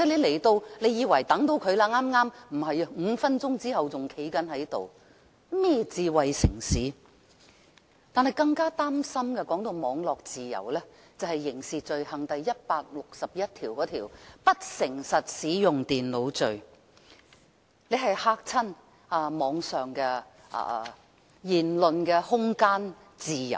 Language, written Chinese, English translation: Cantonese, 談到網絡自由，更加使人擔心的便是《刑事罪行條例》第161條，有關不誠實使用電腦罪的這一條條款，窒礙了網絡上的言論空間和自由。, On cyber freedom what worries us more is section 161 of the Crimes Ordinance on access to a computer with dishonest intent which stifles freedom of speech and expression in the cyber world